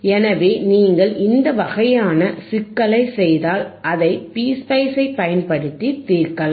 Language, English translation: Tamil, So, if you do this kind of problem, you can solve it using p sPSpice